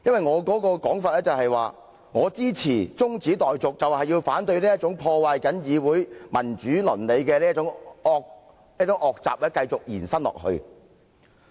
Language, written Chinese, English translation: Cantonese, 我的說法是，我支持中止待續議案，就是要反對這種破壞議會民主倫理的惡習繼續延伸。, What I want to say is that my purpose in supporting the adjournment motion is to oppose the continuation of such an evil practice that harms the ethics of parliamentary democracy . Let me turn to objectives